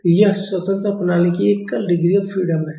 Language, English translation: Hindi, So, this is our single degree of freedom system